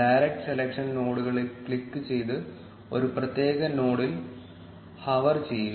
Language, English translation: Malayalam, Click on the direct selection nodes and hover over a particular node